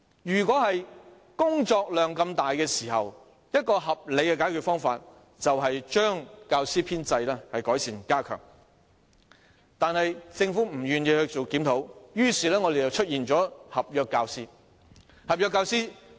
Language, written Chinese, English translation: Cantonese, 當工作量這麼大時，合理的解決方法是改善並加強教師的編制，但政府不願意進行檢討，於是教育界出現了合約教師。, Given such an enormous workload a reasonable solution is improving and enhancing the teaching staff establishment but the Government is unwilling to conduct a review giving rise to teachers on contract terms in the education sector